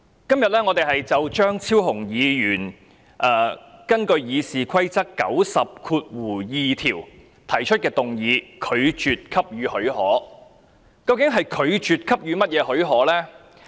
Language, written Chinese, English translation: Cantonese, 主席，我們今天討論張超雄議員根據《議事規則》第902條提出的議案，以拒絕給予許可。, President today we are here to discuss the motion proposed by Dr Fernando CHEUNG in accordance with Rule 902 of the Rules of Procedure that the leave be refused